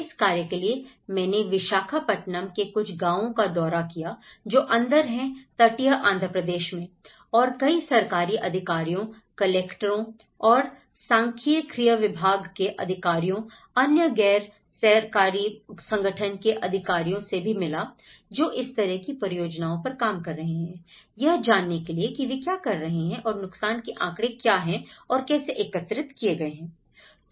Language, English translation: Hindi, So, I visited some of the villages in Visakhapatnam which is in the coastal Andhra Pradesh and visited many of the government officials, the collectorates and the statistical department to see what other NGOs are working on and what kind of projects they are doing on and what how the damage statistics have been gathered you know